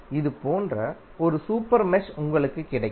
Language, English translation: Tamil, You will get one super mesh like this, right